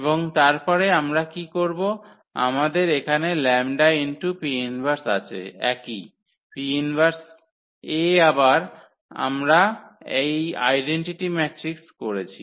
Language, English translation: Bengali, And then what we do, we have here the lambda P inverse x the same, the P inverse A again we have introduced this identity matrix